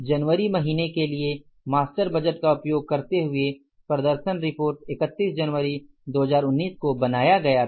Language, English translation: Hindi, Performance report using master budget for the month ended January 31, 2019